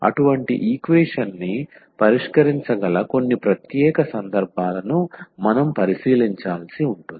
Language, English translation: Telugu, So, we will have to consider some special cases where we can solve such a equation